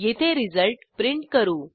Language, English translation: Marathi, Here we print the result